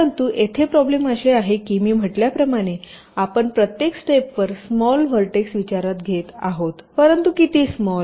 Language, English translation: Marathi, but the problem here is that, as i had said, you are considering small number of vertices at each steps, but how small